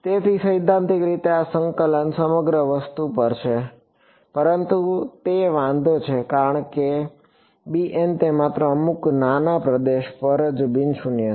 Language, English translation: Gujarati, So, in principle this integral is over the entire thing, but it does matter because b m is non zero only over some small region right